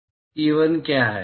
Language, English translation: Hindi, What is E1